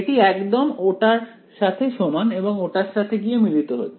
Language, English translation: Bengali, It is exactly equal to that it converges to that